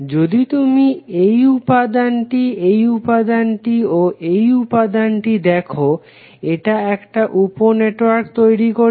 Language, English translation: Bengali, If you see this element, this element and this element it will create one star sub network